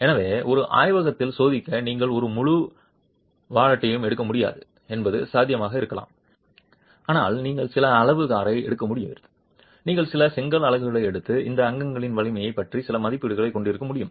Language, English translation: Tamil, So it might be possible that you are not able to take an entire wallet to test in a laboratory but you are able to take some amount of mortar, you are able to take some brick units and have some estimate of the strength of this constituents